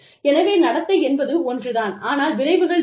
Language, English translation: Tamil, So, the treatment is the same, but the consequences are different